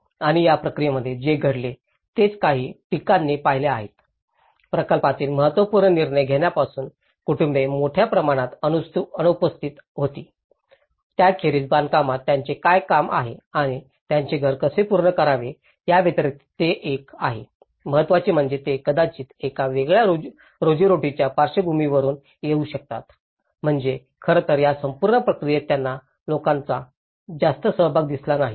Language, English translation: Marathi, And even in this process, what happened is important some of the criticisms have observed, families were largely absent from the important decision making of the project, apart from what job they would do in construction and how to finish their house so, this is one of the important because they may come from a different livelihood background, so in fact, in this whole process, they couldn’t see much of the public participation